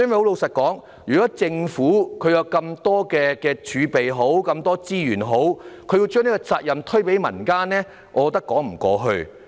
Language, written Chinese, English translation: Cantonese, 老實說，政府有如此龐大的儲備和資源，卻把責任推予民間團體，我認為說不過去。, Frankly speaking with such a huge reserve and resources available the Government just shifts its responsibility to the non - government organizations I think it is far from convincing